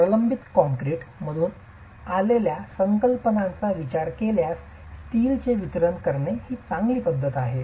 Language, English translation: Marathi, So, considering concepts that come from reinforced concrete, distributing the steel is a good practice